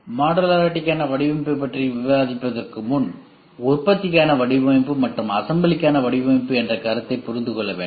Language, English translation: Tamil, Before discussing design for modularity the concept of design for manufacturing and design for assembly has to be understood